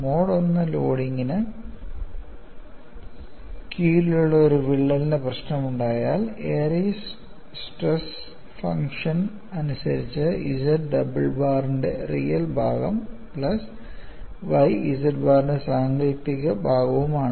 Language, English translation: Malayalam, And in the case of a problem of a crack under Mode 1 loading, the Airy's stress function is given as real part of Z double bar plus y imaginary part of Z bar; the Z is a Westergaard stress function